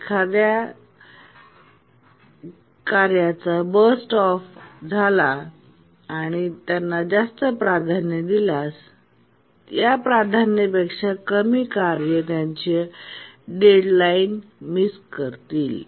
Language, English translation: Marathi, And once we get bursts of this task, if we assign, we have assigned higher priority to these tasks, then the tasks that are lower than this priority would miss deadlines